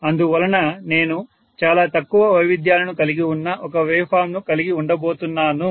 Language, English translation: Telugu, So which means I am going to have actually a wave form which will have much less variations